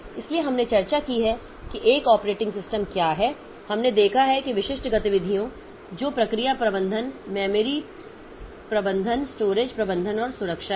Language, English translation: Hindi, So, we have discussed about what is an operating system and we have seen that the specific activities that are there are process management, memory management, storage management, protection and security